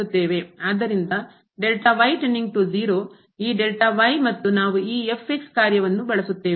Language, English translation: Kannada, So now, for the function we have used